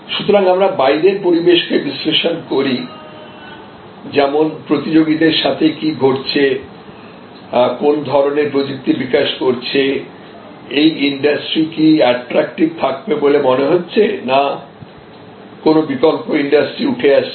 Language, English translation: Bengali, So, we analyze the external environment we analyze things like, what is happening with the competitors, what sort of technologies are developing, weather this industry reveals remaining attractive or alternate industry is developing